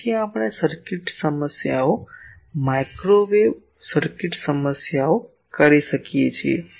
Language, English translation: Gujarati, So, that we can do the circuit problems microwave circuit problems